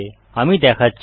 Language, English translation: Bengali, Let me demonstrate